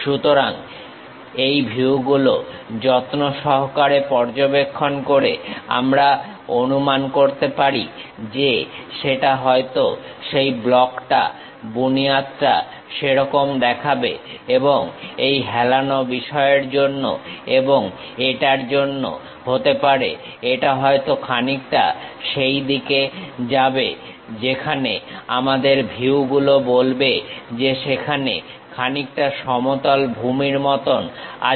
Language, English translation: Bengali, So, by carefully observing these views we can imagine that, may be the block the basement might look like that and because this inclination thing and because of this, it might be something like it goes in that way where the views tell us something like a flat base is there